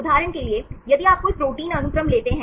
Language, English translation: Hindi, For example, if you take any protein sequence